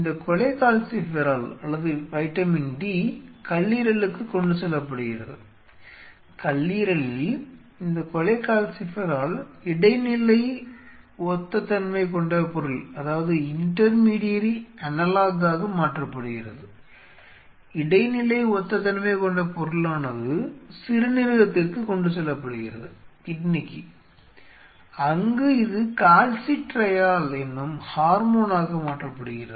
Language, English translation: Tamil, This is cholecalciferol or vitamin d it is transported to the liver in the lever this cholecalciferol is converted into intermediary analogue, this analogue is this intermediary analogue is transported to the kidney, where this is transformed into and hormone called calcitriol and calcitriol is the hormone which is secreted by the kidney which is responsible for absorbing calcium and phosphorus by the bone